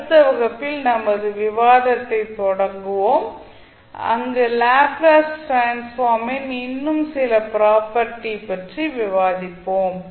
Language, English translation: Tamil, We will continue our discussion in the next class where we will discuss few more properties of the Laplace transform